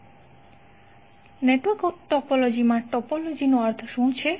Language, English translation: Gujarati, So for network topology what is the topology